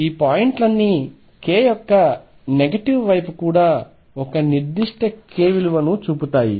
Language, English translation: Telugu, All these points show one particular k value on the negative side of k also